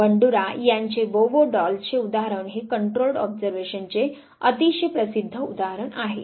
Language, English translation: Marathi, Banduras Bobo doll example is the very famous example of controlled observation